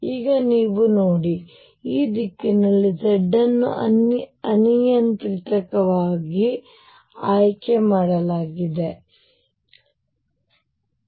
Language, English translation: Kannada, Now you see these direction z is chosen arbitrarily direction z is chosen arbitrarily